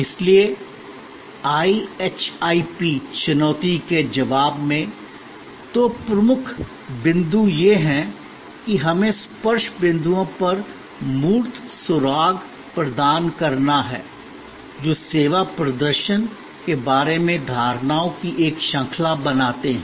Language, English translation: Hindi, So, in this response to the IHIP challenge, the two key points are that we have to provide tangible clues at the touch points, which create a series of perceptions about the service performance